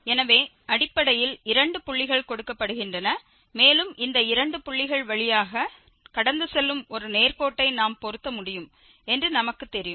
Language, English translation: Tamil, So, basically two points are given and as we know that we can fit a straight line which will pass through these two points